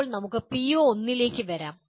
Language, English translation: Malayalam, Now let us come to the PO1